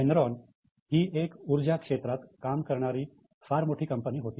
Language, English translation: Marathi, Now, Enron was an energy giant